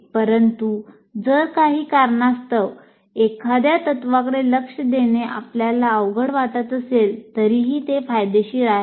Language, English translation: Marathi, But if for some reason you find it difficult to pay attention to one of the principles, still it is worthwhile